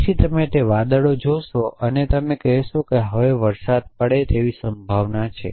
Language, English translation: Gujarati, So, you see that clouds and you say it is likely to rain essentially now